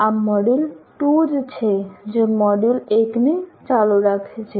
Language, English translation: Gujarati, This is module 2 which is in continuation of that